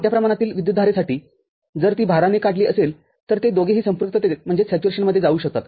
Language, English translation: Marathi, For a large amount of current, if it is drawn by the load both of them can go into saturation